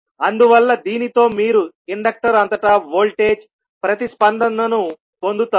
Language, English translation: Telugu, So, this with this you will get the voltage response across the inductor